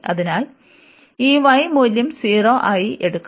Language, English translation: Malayalam, So, this y will take as the value 0